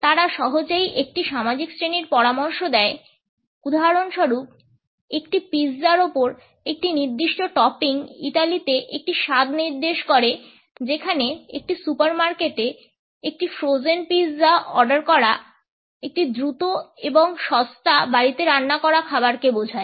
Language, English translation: Bengali, They easily suggest class for example, a particular topping on a pizza signifies a taste in Italy whereas, ordering a frozen pizza in a supermarket signifies a fast and cheap home cooked meal